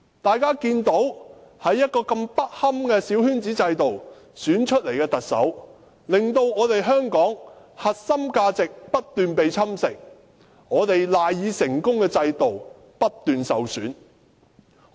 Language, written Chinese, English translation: Cantonese, 大家看到經如此不堪的小圈子制度選出來的特首，令香港的核心價值不斷被侵蝕，我們賴以成功的制度，不斷受損。, As we can see all these Chief Executives who are returned by a coterie election system have been undermining the core values of Hong Kong and damaging the system that has contributed to our past success